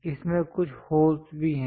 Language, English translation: Hindi, It has few holes also